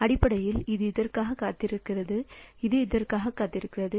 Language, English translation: Tamil, So, basically this is waiting for this one and this is waiting for this one